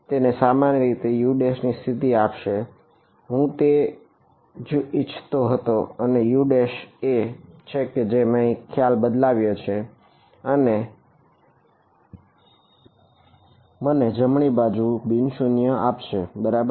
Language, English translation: Gujarati, So, that gave me a condition for u prime, basically that is what I wanted and that u prime is what I substituted over here and that gives me a non zero right hand side right